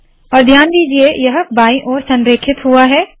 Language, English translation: Hindi, And note that it has been left aligned